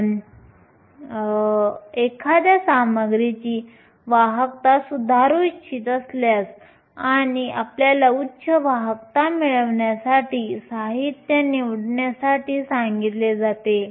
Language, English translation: Marathi, If you want to improve the conductivity of a material and you are asked to choose materials in order to have higher conductivity